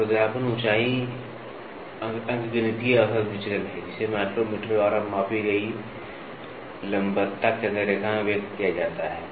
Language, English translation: Hindi, Roughness height is the arithmetic average deviation expressed in micrometers and measured perpendicularity centre line